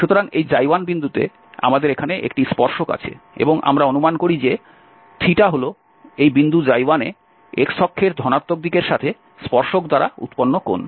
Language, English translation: Bengali, So, at this Xi i, we have a tangent here and we suppose that this Theta is the angle of the tangent, at this point Xi i with the positive x axis